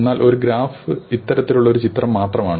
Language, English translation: Malayalam, But a graph is just a picture of this kind